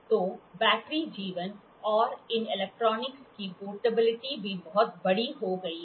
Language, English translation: Hindi, So, and the battery life, the portability of these electronics have also become very large